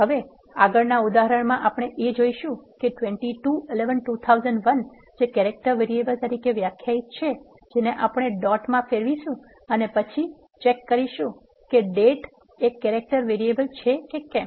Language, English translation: Gujarati, The next example, here what you are going to do here is we are coercing the character variable which is defined earlier that is 22 11 2001 as date and then you are checking whether that date is a character variable